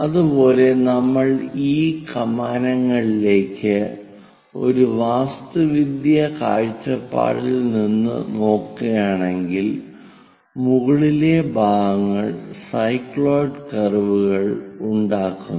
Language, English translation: Malayalam, Similarly, if we are looking at arches, for architectural point of view, the top portions make cycloid curves